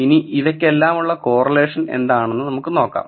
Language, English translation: Malayalam, So, let us see what the correlation is as such for all of these